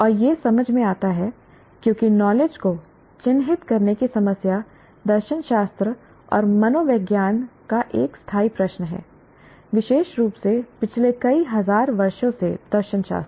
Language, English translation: Hindi, And it is understandable because the problem of characterizing knowledge is an enduring question of philosophy and psychology, especially philosophy, for the past several thousand years